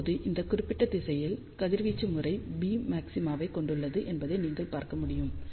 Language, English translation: Tamil, So, you can see that now the radiation pattern has beam maxima in this particular direction